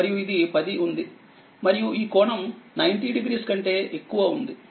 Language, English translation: Telugu, And this is 10, so and this is the angle is more than 90